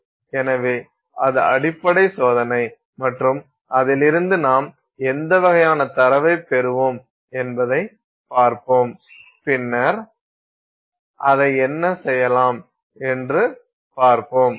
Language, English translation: Tamil, So this is the basic test and we will see you know what kind of data we will get from it and then see what we can make of it